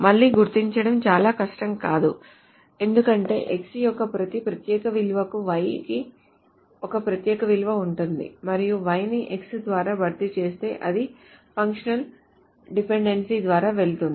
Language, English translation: Telugu, Again, it is not very hard to determine because there is a unique value of Y for each unique value of X and so if Y is replaced by X, the same functional dependency goes through